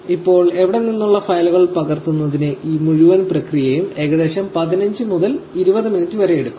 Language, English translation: Malayalam, Now, this entire process from here for copying files will take about 15 to 20 minutes